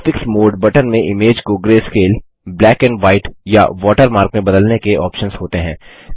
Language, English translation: Hindi, The Graphics mode button has options to change the image into grayscale, black and white or as a watermark